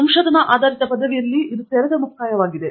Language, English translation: Kannada, In a research based degree, it is open ended